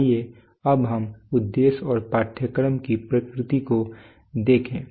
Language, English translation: Hindi, Now let us look at the objective and the nature of the course